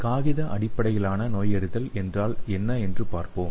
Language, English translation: Tamil, So there are 3 types of paper based diagnostics